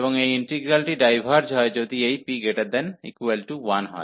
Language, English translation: Bengali, And this integral diverges, if this p is greater than or equal to 1